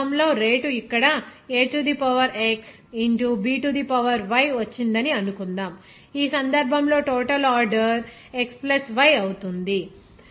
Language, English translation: Telugu, In this case, suppose rate is here came to A to the power x into B to the power y, in this case overall order will be x + y